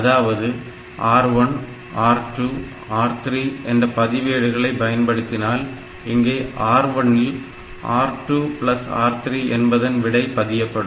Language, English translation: Tamil, So, may be R1, R2, R3 which may mean that R1 gets the content of R2 plus R3